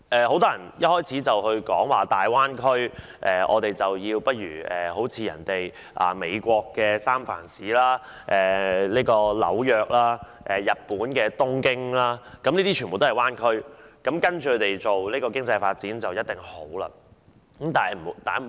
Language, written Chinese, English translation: Cantonese, 很多人一開始便指大灣區要仿效美國的三藩市灣區、紐約灣區，以及日本的東京灣區，認為只要學習該等灣區，經濟定能蓬勃發展。, Many people have argued right from the start that the Greater Bay Area must follow the examples of the San Francisco Bay Area and the New York metropolitan area in the United States and also the Tokyo Bay Area in Japan . They think that its economy can thrive as long as it can learn from these bay areas